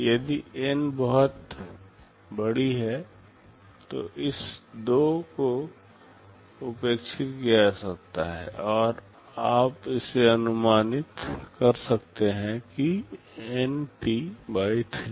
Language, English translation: Hindi, If N is very large, then this 2 can be neglected, and you can approximate it to NT/3